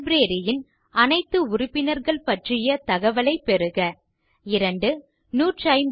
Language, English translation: Tamil, Get information about all the members in the Library